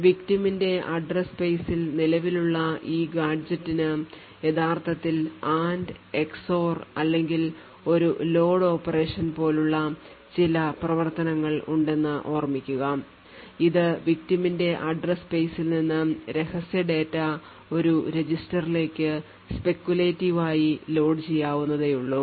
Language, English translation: Malayalam, So, recall that this gadget which is present in the victim's address space is actually having some operations like add, exit or something followed by a load operation which would speculatively load secret data from the victim's address space into a register